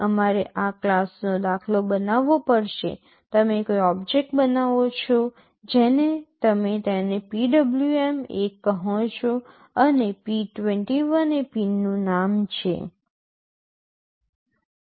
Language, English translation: Gujarati, We will have to create an instance of this class, you create an object you call it PWM1 and p21 is the name of the pin